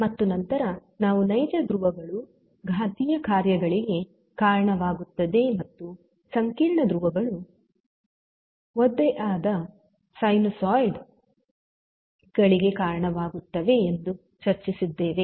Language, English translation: Kannada, And then we also discussed that real poles lead to exponential functions and complex poles leads to damped sinusoids